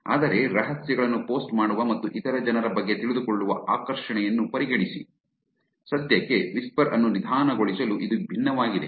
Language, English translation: Kannada, But considering the allure of posting secrets and knowing other people's, it's unlike to slow down whisper for now